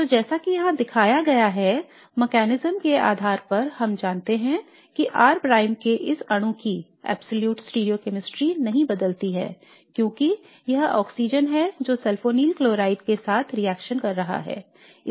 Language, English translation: Hindi, So based on the mechanism as shown here we know that the absolute stereochemistry of this molecule of r prime does not change because it is the oxygen that is reacting with the sulfane chloride